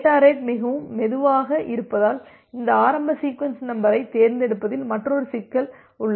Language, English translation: Tamil, Another problem is there for selecting this initial sequence number that the data rate is too slow